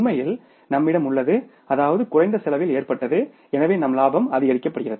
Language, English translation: Tamil, Actually we have, means incur the less cost so our profit is increased